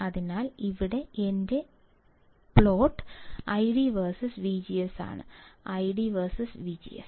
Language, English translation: Malayalam, So, here my plot is I D versus V G S; I D versus V G S